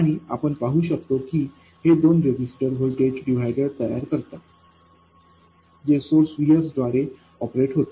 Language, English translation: Marathi, And you can see that these two resistors form a voltage divider driven by the source VS